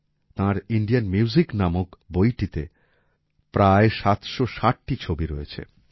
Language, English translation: Bengali, There are about 760 pictures in his book named Indian Music